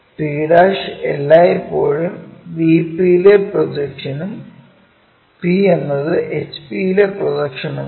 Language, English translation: Malayalam, p' is always be projection on VP and p is the projection on HP